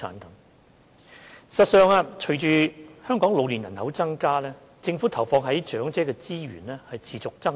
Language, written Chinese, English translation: Cantonese, 事實上，隨着香港老年人口增加，政府投放在長者的資源持續增長。, In fact given the growing elderly population of Hong Kong the Government has persistently increased the resources dedicated to the elderly